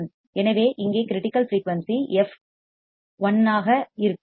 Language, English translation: Tamil, So, here the critical frequency would be f l